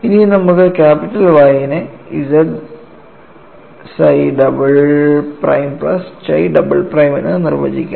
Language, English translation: Malayalam, Now, let us define capital Y as z psi double prime plus chi double prime